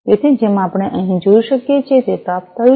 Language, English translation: Gujarati, So, as we can see over here, it has been received